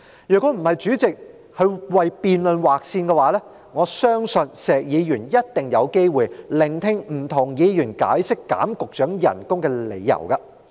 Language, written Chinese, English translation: Cantonese, 若非主席為辯論時間劃線，我相信石議員一定有機會聆聽不同議員解釋削減局長薪酬的理由。, Had the President not imposed a time limit on the debate I believe Mr SHEK will definitely have the opportunity to listen to different Members explaining the reasons for reducing the pay of Secretaries